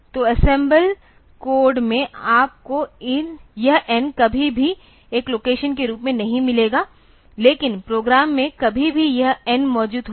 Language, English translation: Hindi, So, in the assemble code you will never find this N having the as a location, but where ever in the program this N will occur